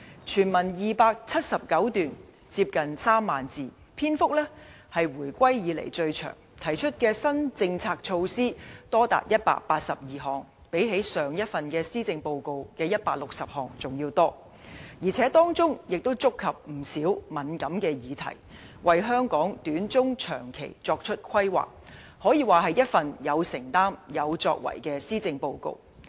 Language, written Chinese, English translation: Cantonese, 全文279段，接近3萬字，篇幅是回歸以來最長，提出的新政策措施多達182項，比上一份施政報告160項還要多，而且當中亦觸及不少敏感議題，為香港短、中、長期發展作出規劃，可說是一份有承擔有作為的施政報告。, Instead the Policy Address is full of substance and comprising 279 paragraphs with almost 30 000 words it is even the longest of its kind since the reunification . It proposes up to 182 new policy measures more than the 160 measures introduced last time . Moreover some of these initiatives touch upon many sensitive issues and make planning for the short - medium - and long - term development of Hong Kong